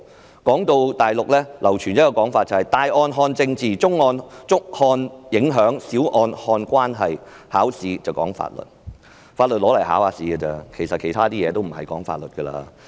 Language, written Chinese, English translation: Cantonese, 文章提到大陸流傳一種說法："大案看政治，中案看影響，小案看關係，考試講法律"，法律只在考試時才用得上，其他則與法律無關。, The article quoted a saying widespread on the Mainland Major cases hinge on politics; medium cases on the impact; and minor cases on relations; examinations boil down to law . The law is used only during examinations . The rest is irrelevant to the law